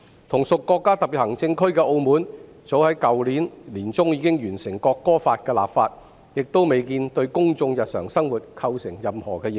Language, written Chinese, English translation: Cantonese, 同屬國家特別行政區的澳門早在去年年中已經完成《國歌法》的立法，亦未見對公眾日常生活構成任何影響。, In Macao the other special administrative region of the country the National Anthem Law has been enacted in the middle of last year and the daily life of the public seems not to be affected at all